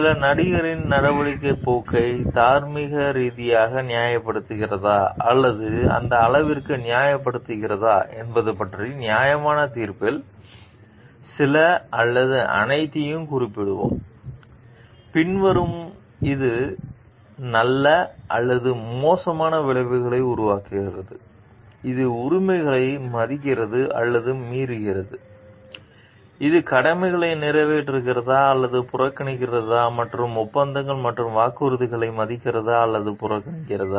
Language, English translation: Tamil, A reasoned judgment of about whether or the extent to which some actor course of action is morally justified we will mention some or all of the following like it produces good or bad consequences, it respects or violates rights whether it fulfils or it shirks obligations and whether, it honours or ignores agreements and promises